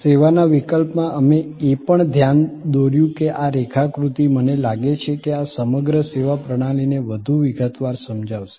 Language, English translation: Gujarati, In case of service, we also pointed out that this diagram I think will explain in more detail this whole servuction system